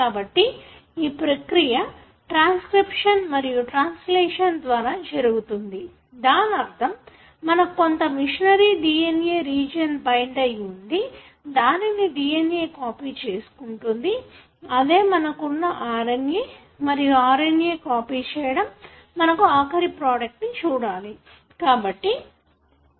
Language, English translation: Telugu, So, this process happens via transcription and translation, so meaning that you have certain machinery that binds to this region of the DNA and then copies the DNA and that is what you have as RNA and the RNA is copied into or translated, decoded into a protein, final product that you see